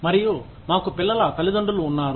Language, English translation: Telugu, And, we have the parents of the children